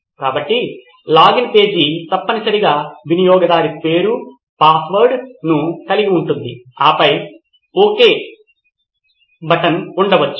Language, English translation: Telugu, So the login page would essentially have a username and a password right and then ok button probably